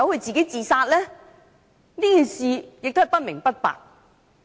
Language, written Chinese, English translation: Cantonese, 這事至今也是不明不白。, What had actually happened is still unknown even today